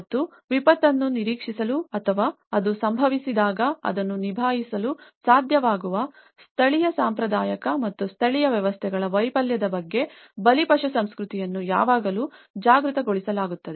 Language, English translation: Kannada, And a victim culture is always being made aware of the failure of the local, traditional and indigenous systems to either anticipate the disaster or be able to cope up when it happens